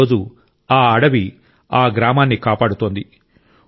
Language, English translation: Telugu, Today this forest is protecting this village